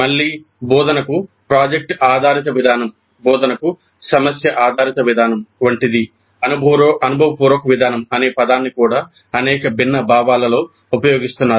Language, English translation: Telugu, Again like product based approach to instruction, problem based approach to instruction, the term experiential approach is also being used in several different senses